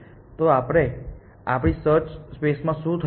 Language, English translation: Gujarati, So, what is happened in our search space